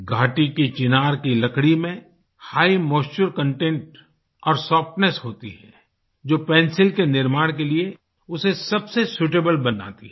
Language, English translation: Hindi, Chinar wood of the valley has high moisture content and softness, which makes it most suitable for the manufacture of pencils